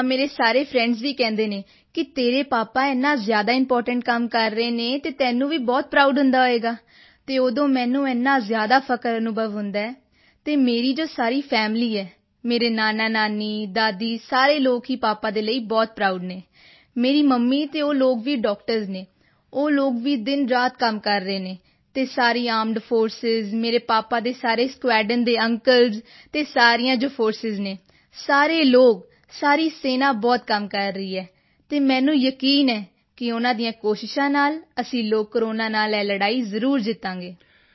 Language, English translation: Punjabi, Yes, all my friends also say that your father is doing such an important job and you must be feeling very proud and it is then I do feel extremely proud and all of my family, my maternal grandparents, paternal grandmother, all of them are very proud of my father… my mother and her doctor colleagues they are also working day and night… and all the Armed Forces, uncles in my father's squadron, and all the forces, all of the people, the army is working quite a lot…